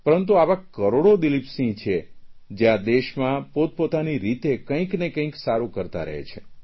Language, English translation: Gujarati, But there are thousands of people like Dileep Singh who are doing something good for the nation on their own